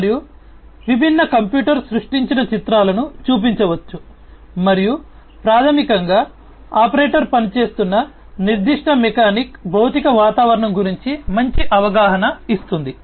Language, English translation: Telugu, And, different computer generated images can be shown and that basically will give a better perception of the physical environment in which that particular mechanic the operator is operating